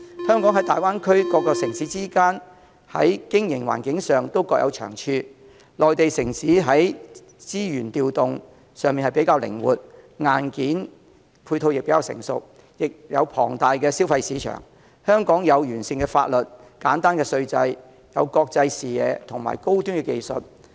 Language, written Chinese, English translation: Cantonese, 香港和大灣區各城市之間在經營環境上各有長處，內地城市在資源調動上較靈活，硬件配套亦較成熟，也有龐大的消費市場；香港則有完善的法律、簡單稅制、具國際視野和高端技術。, Mainland cities are more versatile in resources distribution and more mature with its hardware support . They also have an enormous consumer market . Hong Kong on the other hand has a sound legal system and a simple tax structure